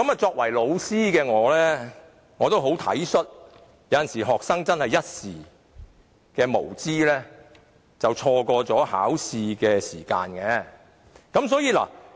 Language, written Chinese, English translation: Cantonese, 作為老師的我，也很體恤學生有時真的會一時無知，錯過考試時間。, As a teacher I am prepared to adopt a more understanding attitude because out of ignorance students do miss the chance to take their examination sometimes